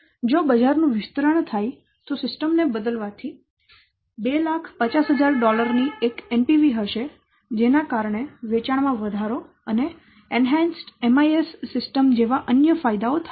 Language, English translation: Gujarati, If the market expands replacing the system will have an NPV of $2,000 due to the benefits of handling increased sales and other benefits such as what enhanced MIS system, etc